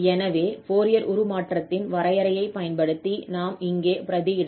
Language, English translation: Tamil, So, the Fourier transform of this function is exactly the same function